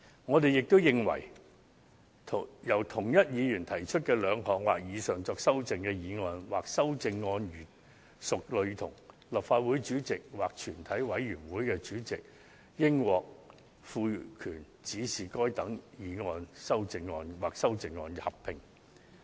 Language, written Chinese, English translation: Cantonese, 我們亦認為，由同一議員提出的兩項或以上用作修正的議案或修正案如屬類同，立法會主席或全體委員會主席應獲賦權指示就該等議案或修正案進行合併辯論及表決。, We are also of the view that the President of this Council or the Chairman in committee of the whole Council should be empowered to give directions for a joint debate on two or more amending motionsamendments similar in nature moved by the same Member and putting to vote together those amending motionsamendments